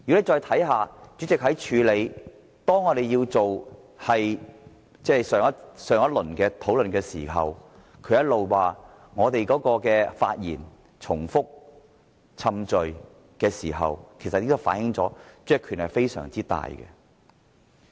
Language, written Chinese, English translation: Cantonese, 再看看主席如何處理上一輪的討論，他一直說民主派的議員發言重複、冗贅，其實這已經反映主席的權力非常大。, This is well evident from how the President dealt with the previous session of discussion . He repeatedly said that the speeches of the democrats were repetitive and tedious . These examples show that the President has great power